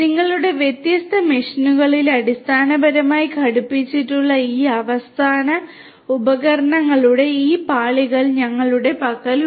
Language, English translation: Malayalam, We have these layers of, these layers of this end devices end devices are the ones which are basically fitted to your different machines